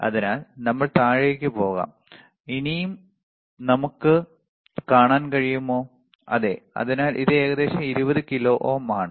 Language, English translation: Malayalam, So, if you go down can we go down and can we see still, yes, so, this is around 20 kilo ohms